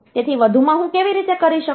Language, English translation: Gujarati, So, addition how do I do